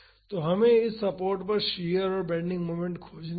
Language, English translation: Hindi, So, we have to find the shear and the bending moment at this support